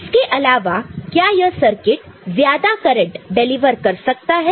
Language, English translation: Hindi, Other than that what we know it can deliver more current